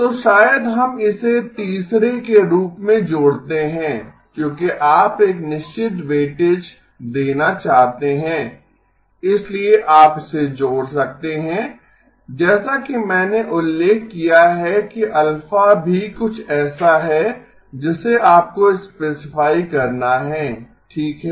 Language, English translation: Hindi, So maybe we add that as the third one because you want to give a certain weightage, so you can add that as I should have mentioned that alpha is also something that you have to specify okay